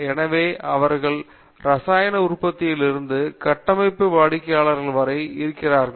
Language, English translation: Tamil, So, they have been people going from chemical manufactures up to structural designers